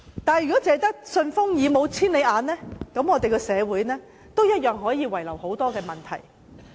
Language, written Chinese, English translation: Cantonese, 但是，如果只有"順風耳"，而沒有"千里眼"，社會同樣可能有很多問題。, However if they only hear well but are not farsighted society may still be riddled with many problems